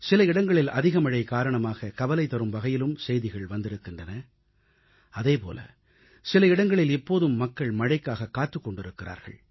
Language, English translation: Tamil, At places, we are hearing of rising concerns on account of excessive showers; at some places, people are anxiously waiting for the rains to begin